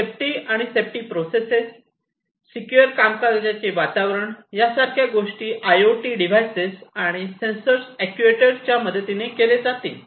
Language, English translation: Marathi, Safe and secure processes, safe and secure environment, these are all going to be performed with the help of these different IoT devices, these different sensors actuators etcetera